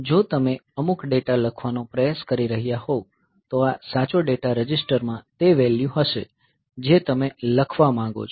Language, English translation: Gujarati, So, if you are trying to write some data then this right data register will have the value in it that you want to write